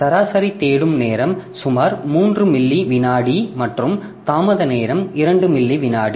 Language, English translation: Tamil, For fastest disk so average average seek time is about 3 milliseconds and latency time is 2 milliseconds